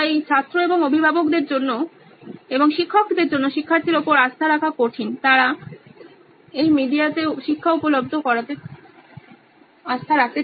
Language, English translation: Bengali, So it is difficult for the student and for parents and teachers to you know trust the student and make his learning available on such medias